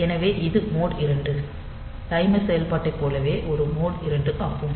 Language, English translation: Tamil, So, it is an mode 2 just like mode 2 timer operation